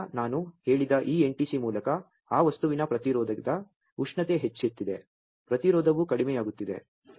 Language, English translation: Kannada, And then through this NTC which I said as a temperature of that resistance of that material is increasing, the resistance is decreasing